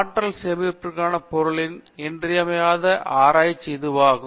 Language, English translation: Tamil, So, this is a main area of research today in materials for energy storage